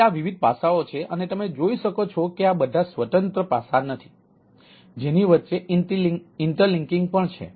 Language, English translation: Gujarati, so these are different aspects and ah, you can see that these are not all are independent aspects